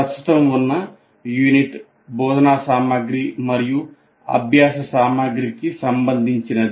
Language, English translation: Telugu, In this present unit, which is related to instruction material and learning material